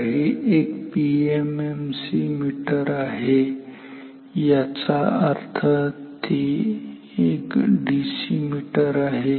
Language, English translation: Marathi, So, this is a PMMC meter; that means, it is a DC meter